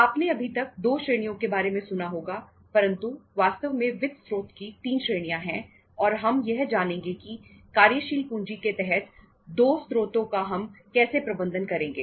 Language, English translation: Hindi, You must have heard there are 2 categories but actually there are the 3 categories of the sources of the funds and uh we will learn how to manage the 2 sources under the working capital